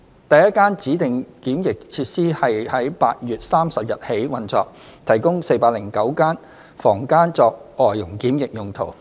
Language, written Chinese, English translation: Cantonese, 第一間指定檢疫設施於8月30日起運作，提供409間房間作外傭檢疫用途。, The first DQF has been in operation since 30 August providing 409 rooms for quarantine of FDHs